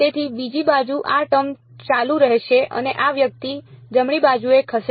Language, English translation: Gujarati, So, the other side this term will continue to be there and this guy moves to the right hand side